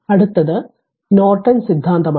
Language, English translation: Malayalam, Next is your Norton theorem